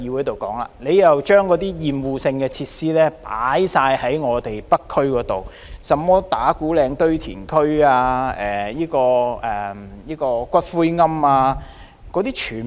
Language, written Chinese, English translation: Cantonese, 當局將所有厭惡性設施全放到北區，例如打鼓嶺堆填區及骨灰龕等。, The authorities have placed all the obnoxious facilities in the North District